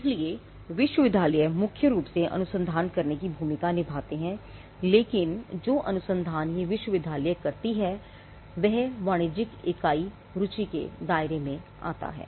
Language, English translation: Hindi, So, universities with predominantly doing the role of doing the research, but the research that the university would do; the moment it comes within the purview something that commercial entity is interested